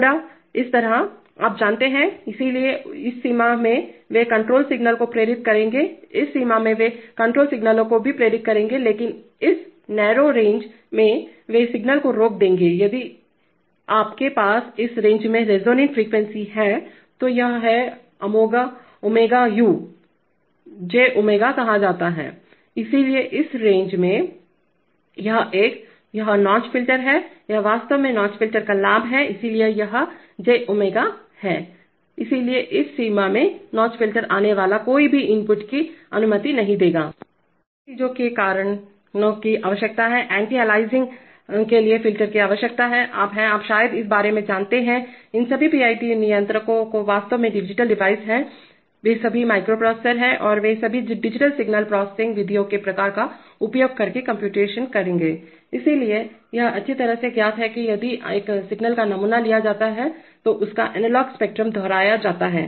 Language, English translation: Hindi, Somewhat like this, you know, so in this range they will pass control signals, in this range also they will pass control signals but in this narrow range they will stop the signal, so if you have your resonant frequency in this range, this is omega this is say U Omega, J Omega, so in this range, this one, this notch filter other is this is actually gain of the notch filter, so it is G, so in this range the notch filter will not allow any inputs to come